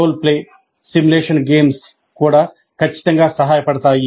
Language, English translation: Telugu, Role play simulation games also would definitely help